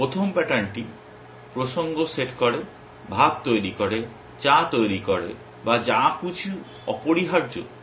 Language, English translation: Bengali, The first pattern setting the context, making rice, making tea or whatever essentially